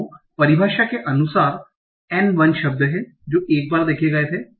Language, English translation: Hindi, So there there are, by definition, there are n1 words that was seen once